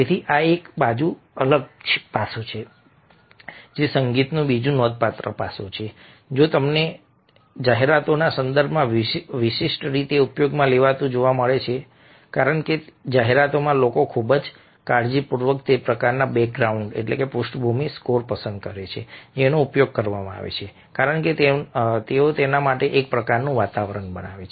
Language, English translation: Gujarati, ok, so this is another different aspect, another significant aspect of music which you find being distinctively used in the context of advertisements, because in advertisements, people very, very carefully select the kind of background scores that are being used, because they kind of create an ambience for it